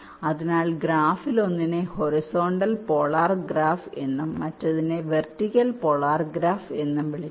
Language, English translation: Malayalam, so one of the graph is called horizontal polar graph, other is called vertical polar graph